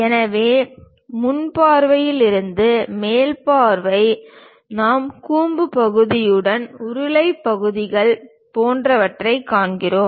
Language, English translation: Tamil, So, from front view, top view we just see something like a cylindrical portions with conical portion and so on